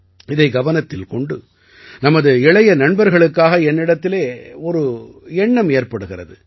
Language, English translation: Tamil, In view of this, I have an idea for my young friends